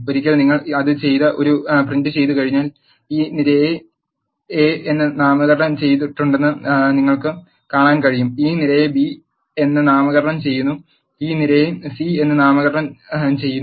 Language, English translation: Malayalam, Once you do that and print a you can see that this column is named as a, and this column is named as b, and this column is named as c